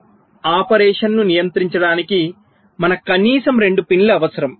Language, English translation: Telugu, so to control the bist operation we need ah minimum of two pins